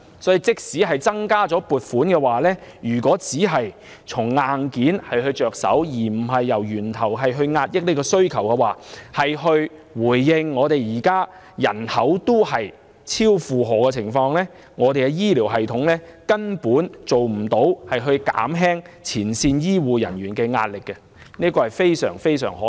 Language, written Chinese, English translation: Cantonese, 所以，即使增加撥款，如果只從硬件着手，而不是從源頭遏抑需求，回應人口已超負荷的問題，根本不能減輕前線醫護人員的壓力，這是非常可惜的。, Hence even with the additional funding the pressure exerted on frontline health care personnel cannot be relieved if we only tackle hardware issues rather than suppressing the demand at source and addressing the population overload . This is most regrettable